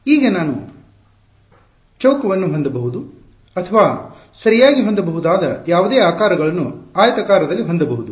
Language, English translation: Kannada, Now, it I can have a square or I can have a rectangular any number of shapes I can have right